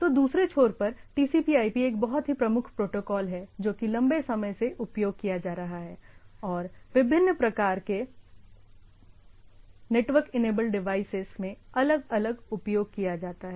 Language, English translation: Hindi, So, TCP/IP on the other end is one of the very prominent protocol which is being started long back and being used or being followed in different, in different type of network enabled devices